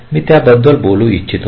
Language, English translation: Marathi, this is i wanted to talk about